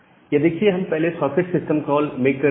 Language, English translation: Hindi, Now, here this we are first making a socket system call